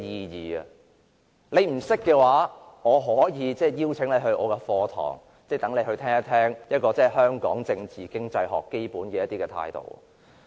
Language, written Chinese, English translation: Cantonese, 如果你不明白的話，我可以邀請你出席我的課堂，聽一聽香港政治經濟學的基本態度。, If you do not understand this I can invite you to attend my class to learn the fundamental positioning of political economies in Hong Kong